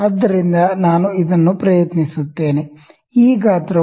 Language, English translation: Kannada, So, let me try this one, this size is 1